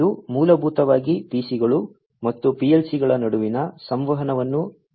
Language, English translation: Kannada, This basically handles the communication between the PCs and the PLCs